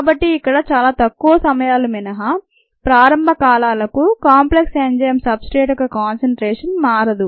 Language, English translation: Telugu, ok, so apart from very short times here, early times, the concentration of the enzyme substrate complex does not change